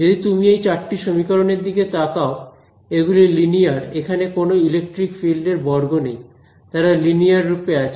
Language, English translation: Bengali, So, as you can look at these 4 equations they are linear there is no E square there is no E into H right there all by themselves in a linear form